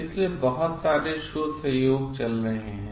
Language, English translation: Hindi, So, there are lots of research collaboration going on